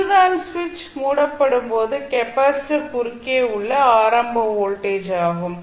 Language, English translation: Tamil, So this is our initial voltage across the capacitor when the switch is closed